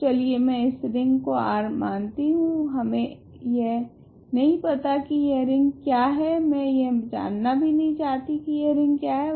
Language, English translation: Hindi, So, I let us call this ring R, we do not know what this ring is I am not interested in knowing what this ring is